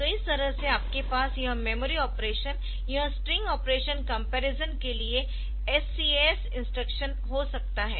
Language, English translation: Hindi, So, this way you can have this SCAS instruction for doing this memory operation this string operation comparison and all ok